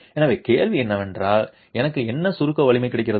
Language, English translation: Tamil, So, question is what compressive strength do I get